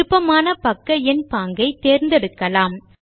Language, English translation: Tamil, Here you can choose the page numbering style that you prefer